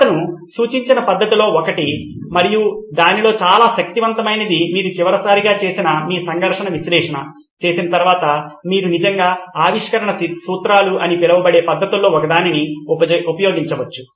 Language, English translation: Telugu, One of the methods that he suggested and a very powerful one at that is one of the components is after you do your conflict analysis which we did last time, you can actually use one of the methods called inventive principles